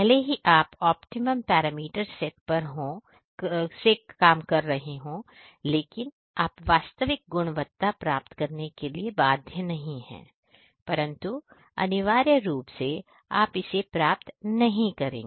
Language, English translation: Hindi, Even though you are setting the optimum parameter, you know that you are not you are bound to get the true quality, but essentially you know you won’t get it